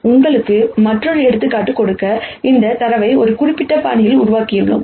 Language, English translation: Tamil, So, to give you another example, we have generated this data in a particular fashion